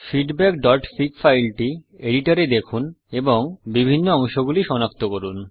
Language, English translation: Bengali, View the file feedback.fig in an editor, and identify different components